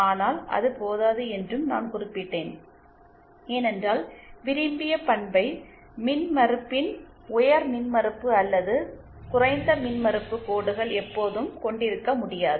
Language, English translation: Tamil, But I also mentioned that that is not enough because it may not always be possible to have high impedance or low impedance lines of the desired characteristic impedance